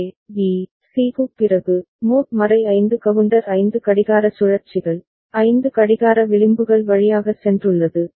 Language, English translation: Tamil, After the A, B, C, the mod 5 counter has gone through 5 clock cycles right, 5 clock edges